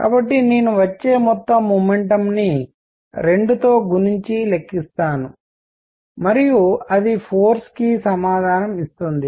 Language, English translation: Telugu, So, I will calculate the total momentum coming in multiplied by 2 and that would give me the answer for the force